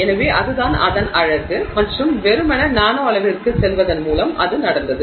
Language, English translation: Tamil, So, that is the beauty of it and that has happened simply by going to the nanoscale